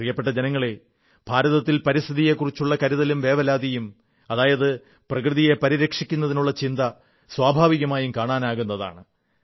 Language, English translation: Malayalam, My dear countrymen, the concern and care for the environment in India seems natural